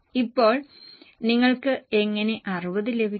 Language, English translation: Malayalam, Now how will you get the 60